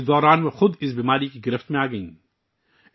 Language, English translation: Urdu, During all this, she herself fell prey to this disease